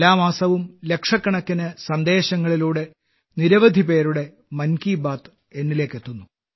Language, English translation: Malayalam, Every month, in millions of messages, the 'Mann Ki Baat' of lots of people reaches out to me